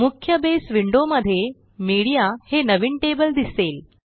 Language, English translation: Marathi, In the main Base window, there is our new Media table